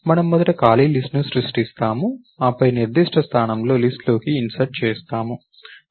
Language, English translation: Telugu, We first creating an empty list, then insert into the list at a particular position